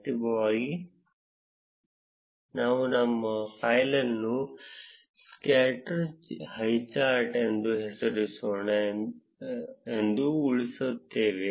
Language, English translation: Kannada, Finally we would save our file as let's name it as scatter highcharts